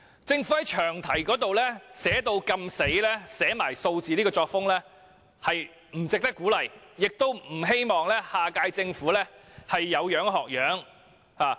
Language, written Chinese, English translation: Cantonese, 政府在詳題寫出明確數字的作風，實在不值得鼓勵，亦希望下屆政府不會有樣學樣。, The Governments act of specifying a number in the long title really should not be encouraged and I hope the next - term Government will not follow suit